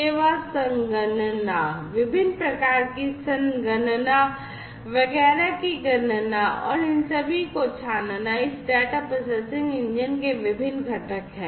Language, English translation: Hindi, Service computation, calculation of different types of computation etcetera and filtering all of these are different components of this data processing engine